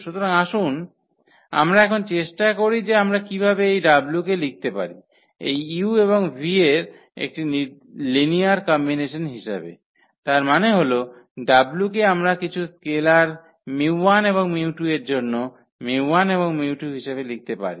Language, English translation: Bengali, So, let us try now how we can write we can express this w as a linear combination of u and v; that means, the w can we write as mu 1 u and mu 2 v for some scalars mu 1 and mu 2